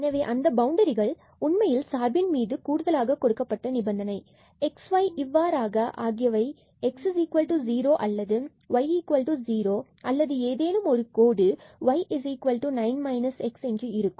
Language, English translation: Tamil, So, those boundaries were actually the additional constraint on the function that x y satisfies either x is equal to 0 or y is equal to 0 or there was a line there y is equal to 9 minus x